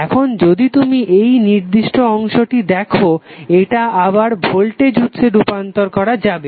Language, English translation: Bengali, Now if you see this particular segment this can be again converted into the voltage source